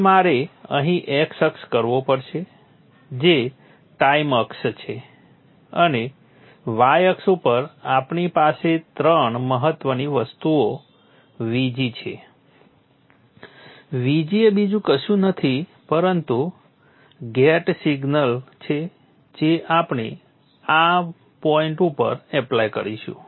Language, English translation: Gujarati, let us now start by placing the x and y axis now I have here three x axis which is the time axis and on the y axis we have the y axis we have three important things VG is nothing but the gate signal which will be applying at this point